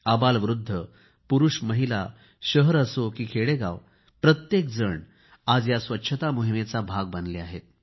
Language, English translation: Marathi, The old or the young, men or women, city or village everyone has become a part of this Cleanliness campaign now